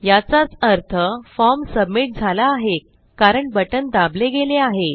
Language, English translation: Marathi, That would just mean that the form has been submitted because the button has been pressed